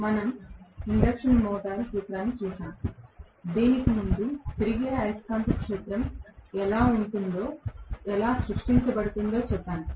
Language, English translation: Telugu, We, looked at the principle of the induction motor, before which we said what is a revolving magnetic field how it is created